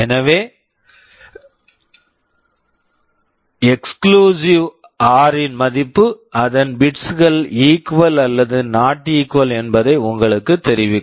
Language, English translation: Tamil, So, the result of an exclusive OR will tell you whether the bits are equal or not equal